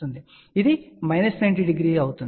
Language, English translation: Telugu, So, this will be minus 90 degree